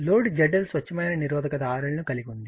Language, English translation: Telugu, The load Z L consists of a pure resistance R L